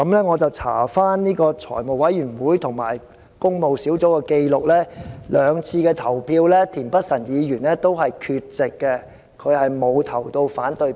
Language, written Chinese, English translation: Cantonese, 我翻查財務委員會及工務小組委員會的紀錄，田議員在兩次會議投票都是缺席的，並沒有投下反對票。, I have checked the records of the Finance Committee and Public Works Subcommittee . Since he was absent from the voting process of the two meetings he has therefore not voted against it